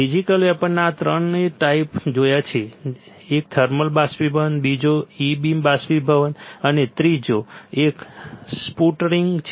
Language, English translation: Gujarati, In physical vapour deposition we have seen three types one is thermal evaporation, second is e beam evaporation and third one is sputtering